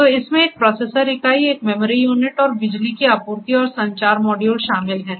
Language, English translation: Hindi, So, it comprises of a processor unit, a memory unit, power supply and communication modules